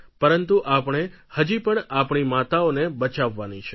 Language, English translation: Gujarati, But we still have to work to save our mothers and our children